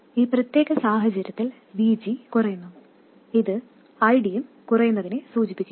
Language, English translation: Malayalam, And in this particular case, VG falls down which implies that ID also falls down